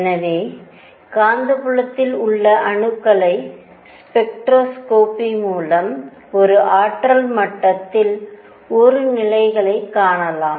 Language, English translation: Tamil, So, through spectroscopy of atoms in magnetic field, we can find out a number of levels in an energy level, in an energy state